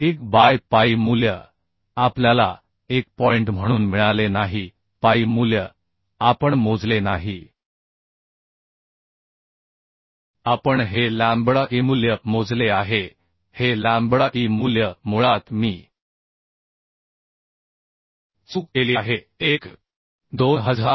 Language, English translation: Marathi, 1 by phi value we got as no phi value we have not calculated we have calculated this lambda e value this lambda e value will be basically I I did a mistake 1